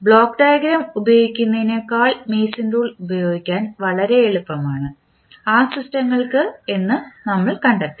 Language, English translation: Malayalam, And for those kind of systems we find that the Mason’s rule is very easy to use than the block diagram reduction